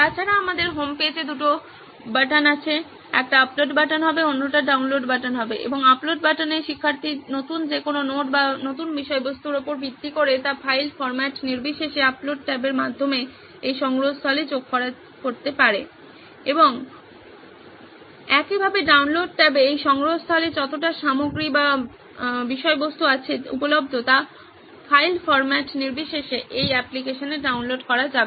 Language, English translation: Bengali, Apart from that we also have two buttons on the homepage, one would be an upload button and the other would be a download button, in the upload button student can based on whatever new notes or new content irrespective of what file format it is can be added into this repository through the upload tab and similarly in the download tab whatever content is available in this repository irrespective of document format can be downloaded to this application